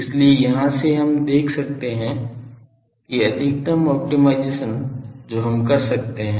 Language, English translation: Hindi, So, from here we can see that so, the maximise the maxi optimization that we can do